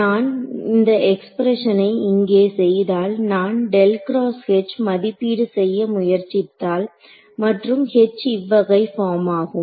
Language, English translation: Tamil, So, when I do this expression over here when I try to evaluate curl of H and H is of this form